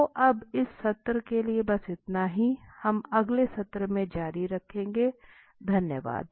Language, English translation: Hindi, So that is all for the day for the session now, so we will continue in the next session thanks